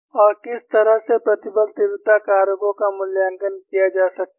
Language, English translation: Hindi, And in what way the stress intensity factors could be evaluated